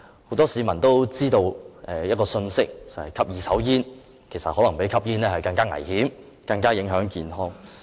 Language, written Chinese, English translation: Cantonese, 很多市民都知道吸二手煙可能比直接吸煙更加危險，更加影響健康。, Many members of the public know that passive smoking could be even more dangerous than active smoking and inflicts more serious harms on health